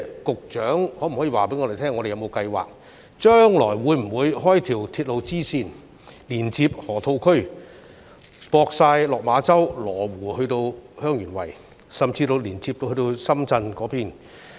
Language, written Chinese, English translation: Cantonese, 局長可否告訴我們，香港有否計劃開闢一條鐵路支線，連接河套地區、羅湖、香園圍，甚至深圳？, Can the Secretary tell us whether Hong Kong has plans to construct a railway extension to connect the Loop Lo Wu Heung Yuen Wai and even Shenzhen?